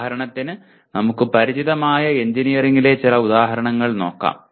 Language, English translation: Malayalam, For example, let us look at some examples in engineering that we are familiar with